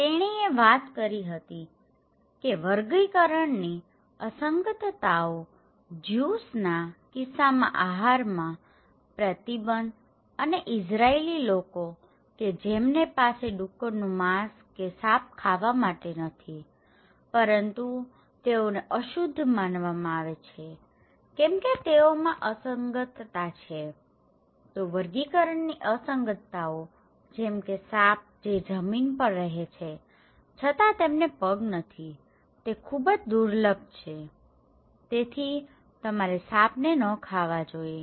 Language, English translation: Gujarati, And she was talking about taxonomic anomalies, dietary restrictions in case of Jews, Israeli people who cannot have pork or snake as a food, okay because they are considered to be unclean like why they are unclean because they are anomalies, so taxonomic anomalies like snake, they live on land but they do not have legs so, it is very rare, so that’s why you should not eat snake